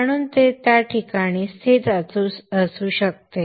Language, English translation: Marathi, So it will be located in that place